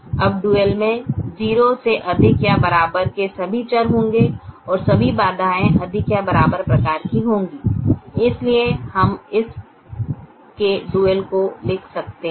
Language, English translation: Hindi, now the dual will have all variables greater than or equal to zero and all constraints of the greater than or equal to type